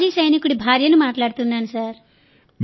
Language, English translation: Telugu, This is an ex Army man's wife speaking sir